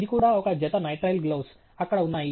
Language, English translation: Telugu, This is also a pair of nitrile gloves, which are there